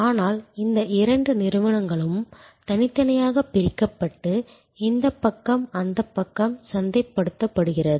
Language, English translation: Tamil, But, these two entities remain distinctly separated and this side marketed to this side